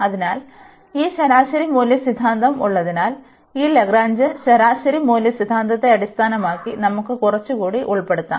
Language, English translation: Malayalam, So, having this mean value theorem, we can also include little more based on this Lagrange mean value theorem